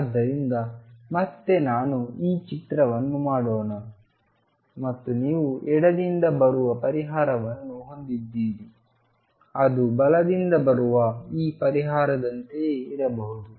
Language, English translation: Kannada, So, again let me make this picture and you have a solution coming from the left it could be like this solution coming from the right which could be like this